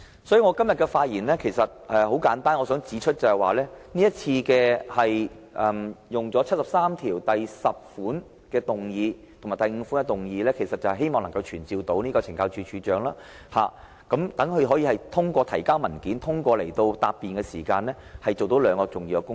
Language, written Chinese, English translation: Cantonese, 所以，我今天的發言很簡單，我想指出，今次根據第七十三條第十項及第七十三條第五項動議議案，希望能夠傳召懲教署署長，讓他通過提交文件和答辯，做到兩項重要工作。, The speech I make today is therefore a brief one . I would like to point out the motion moved today under Articles 735 and 7310 aims at advancing the performance of two vital tasks with the summoning of the Commissioner of Correctional Services his submission of documents and giving a reply